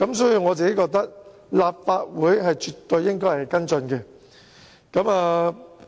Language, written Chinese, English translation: Cantonese, 所以，我認為立法會絕對應該跟進此事。, For this reason I hold that the Legislative Council should absolutely follow the matter up